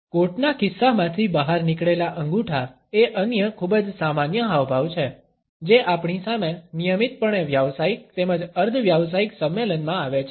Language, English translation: Gujarati, Thumbs protruding from coat pocket is another very common gesture, which we routinely come across in professional as well as in semi professional gatherings